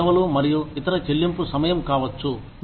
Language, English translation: Telugu, It could be holidays, and other paid time off